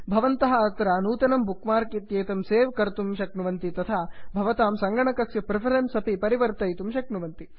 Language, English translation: Sanskrit, You can also save new bookmark and change your preferences here